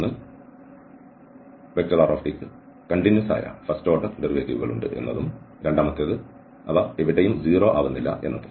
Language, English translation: Malayalam, And this rt possess a continuous first order derivatives and nowhere 0